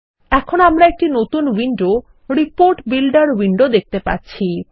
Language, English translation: Bengali, We now see a new window which is called the Report Builder window